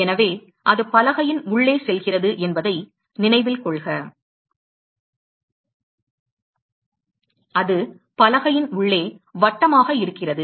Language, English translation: Tamil, So, note that the it is going inside the board it is circle inside the board ok